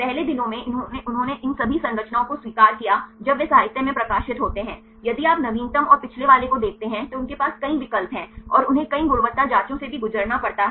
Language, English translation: Hindi, Earlier days they accepted all these structures when they are published in the literature, if you see the latest ones and the previous ones latest one they have several options and also they have to pass through several quality checks